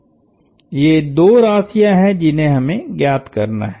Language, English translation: Hindi, These are two quantities we have to find